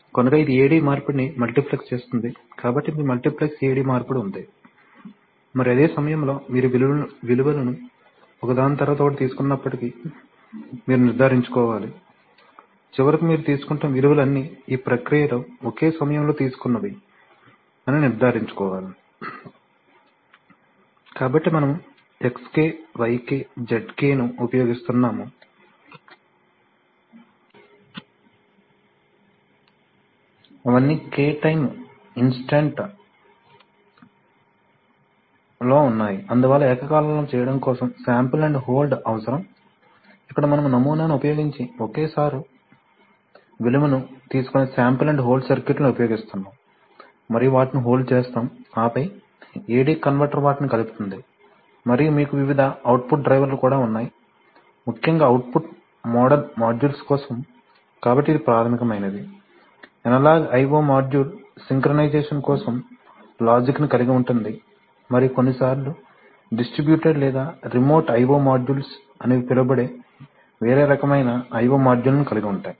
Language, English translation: Telugu, So it will multiplex the AD conversion, so you have multiplex AD conversion and at the same time you need to ensure that, although you are taking the values one after the other but you would like to ensure that the values that you are taking finally all belong to the same time instant in the process, so you use XK YK ZK all of them are at K time instant, so for that you need simultaneous sample and hold where you take the value simultaneously using sample and hold circuits and you hold them and then AD converter mix them up and you also have various output drivers, especially for output model modules, so this is the basic, these are the basic things that analog i/o module will contain and of course some logic for synchronization then you have a different kind of i/o modules which are called distributed or sometimes called remote i/o modules